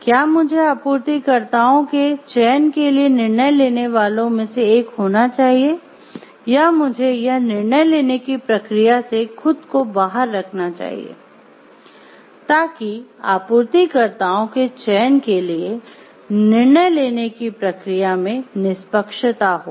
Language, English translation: Hindi, Should I be one of the decision makers for the supplier selection or should I keep myself out of the process of this decision making to give so that there is a fairness in the process of the decision making for the selection of the suppliers